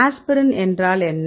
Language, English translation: Tamil, what is the aspirin right